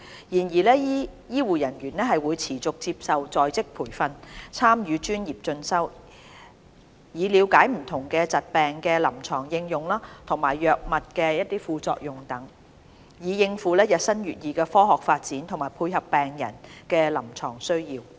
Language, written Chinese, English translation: Cantonese, 然而，醫護人員會持續接受在職培訓，參與專業進修，以了解不同疾病的臨床應用和藥物的副作用等，以應付日新月異的科學發展和配合病人的臨床需要。, That said continuous on - the - job training is provided for health care professionals for professional development and for them to learn about the clinical application and the side effects of drugs in treating different diseases so as to keep abreast of the ever - changing scientific development and meet the clinical needs of patients